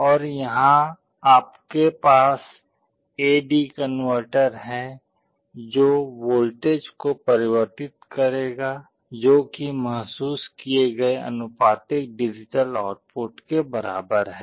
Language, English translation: Hindi, And here you have the A/D converter which will be converting the voltage that is equivalent to the sensed value into a proportional digital output